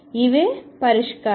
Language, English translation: Telugu, These are the solutions